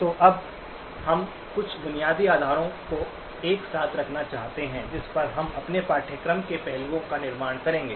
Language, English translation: Hindi, So now let us sort of put together a few basic foundations on which we will build the aspects of our course